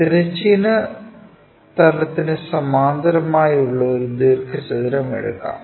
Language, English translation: Malayalam, So, a rectangle parallel to horizontal plane